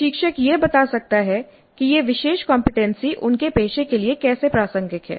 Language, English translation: Hindi, The instructor can explain how this particular competency is relevant to their profession